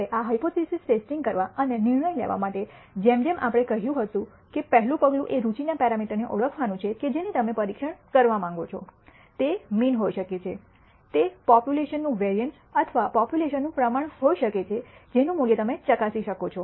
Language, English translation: Gujarati, Now, in order to perform this hypothesis testing and make a decision; As we said the rst step is to identify the parameter of interest which you wish to test, it could be the mean, it could be the variance of the population or the proportion of the population that you want to verify value